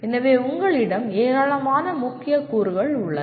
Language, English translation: Tamil, So you have a fairly large number of key elements